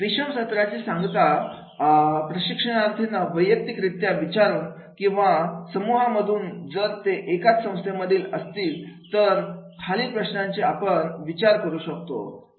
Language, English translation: Marathi, Conclude the training session by asking trainees either individually or in the teams from the same company or work group to consider the following question